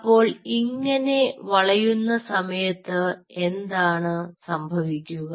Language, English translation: Malayalam, now, during this bending, what will happen